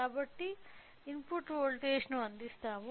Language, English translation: Telugu, So, let me provide the input voltage